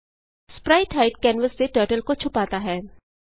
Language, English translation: Hindi, spritehide hides Turtle from canvas